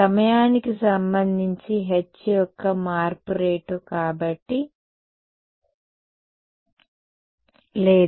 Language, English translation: Telugu, No right because its rate of change of h with respect to time